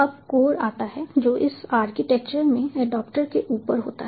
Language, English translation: Hindi, now comes the core, which is on top of the adaptor in that architecture